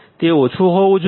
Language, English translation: Gujarati, It should be low